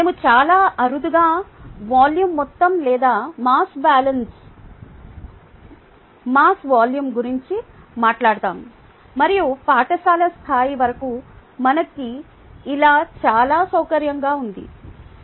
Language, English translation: Telugu, ok, we rarely talk about amount, volume or mass volume and so on and so forth, which we were very comfortable with till the school level